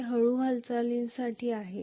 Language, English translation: Marathi, This is for slow movement